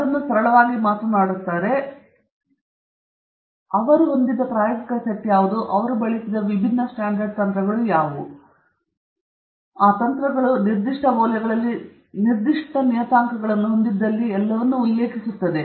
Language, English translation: Kannada, So, that they will simply talk of what is the experimental set up they had, what are the different standard techniques that they have used, if those techniques had particular parameters that had to be set at some particular values they will mention all that